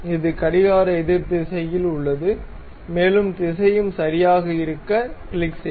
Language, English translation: Tamil, And it is in the counter clockwise direction, and direction also fine, click ok